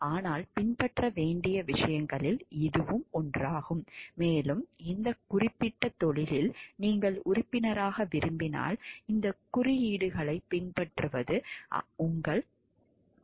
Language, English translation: Tamil, But it is one of the must of the things to be followed and it is your moral obligation to follow this codes if you want to be a member of this particular profession